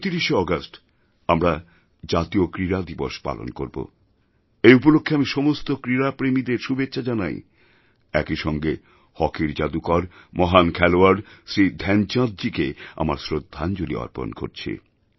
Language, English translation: Bengali, We shall celebrate National Sports Day on 29th August and I extend my best wishes to all sport lovers and also pay my tributes to the legendary hockey wizard Shri Dhyanchandji